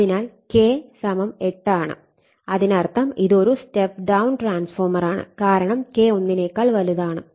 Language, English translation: Malayalam, So, K = 8; that means, it is a step down transformer because K greater than right